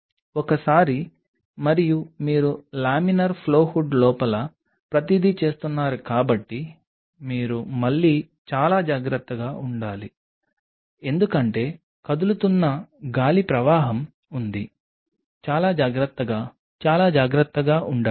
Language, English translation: Telugu, Once and you are doing everything inside the laminar flow hood so, you have to be again very cautious because there is an air current which is moving be very careful be very careful